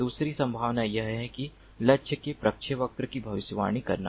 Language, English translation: Hindi, the other possibility is that to predict the trajectory of the target